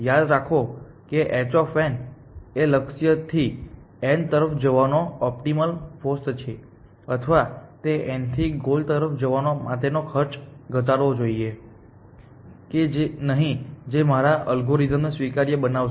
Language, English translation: Gujarati, Remember h star of n is the optimal cost of going from n to the goal or should it overestimate the cost of going from n to the goal, which one will make my algorithm admissible